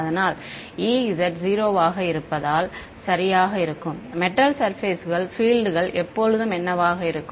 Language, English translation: Tamil, So, e z is going to be 0 because on a perfect metal the surface the fields are always what